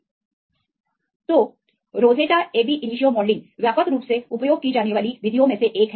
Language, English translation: Hindi, So, Rosetta is one of the widely used methods for the ab initio modelling right